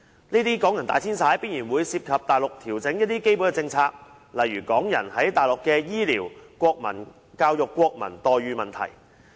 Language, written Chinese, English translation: Cantonese, 這些港人大遷徙必然會涉及內地一些基本政策的調整，例如港人在內地的醫療、教育、國民待遇等問題。, A massive relocation of Hong Kong people like this will certainly involve adjustments to some basic policies of the Mainland such as medical protection education services and Chinese national treatment granted to Hong Kong people on the Mainland